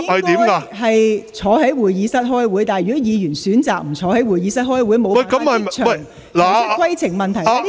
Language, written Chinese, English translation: Cantonese, 如果議員選擇不到會議廳出席會議，而無法即場提出規程問題......, If Members choose not to come to the Chamber to attend the meeting they are unable to raise a point of order on the spot